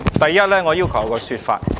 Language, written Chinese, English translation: Cantonese, 第一，我要求一個說法。, First I demand an explanation